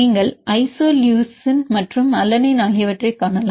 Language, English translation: Tamil, And you can see isoleucine and alanine